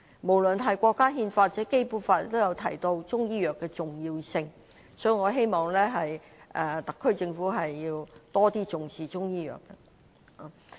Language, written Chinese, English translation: Cantonese, 無論是國家憲法或《基本法》，均提到中醫藥的重要性，所以，我希望特區政府能更重視中醫藥。, No matter in the countrys Constitution or in the Basic Law the importance of Chinese medicine is also mentioned . Hence I hope that the SAR Government can attach greater importance to Chinese medicine